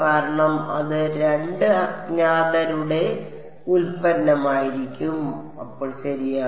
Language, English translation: Malayalam, Because it will be product of 2 unknowns then right